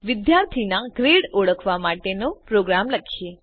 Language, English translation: Gujarati, Let us write a program to identify grade of a student